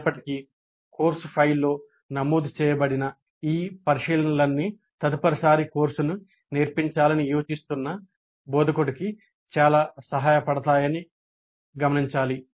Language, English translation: Telugu, Still it is important to note that all these abbreviations which are recorded in a kind of a course file would be very helpful for the instructor who is planning to teach the course the next time